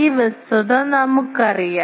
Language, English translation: Malayalam, We know this fact